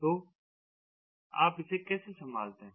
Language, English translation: Hindi, so how do you handle it